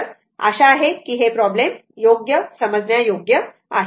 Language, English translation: Marathi, So, this is hope this problem is understandable to you right